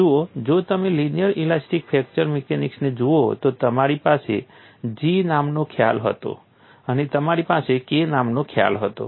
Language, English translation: Gujarati, See if you look at linear elastic fracture mechanics, you had a concept called G and you had a concept called K